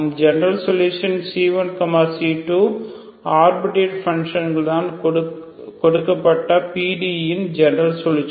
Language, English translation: Tamil, General solution because C1 C2 are arbitrary functions is the general solution of given PD